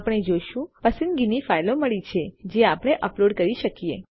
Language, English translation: Gujarati, We can see we got a selection of files which we can upload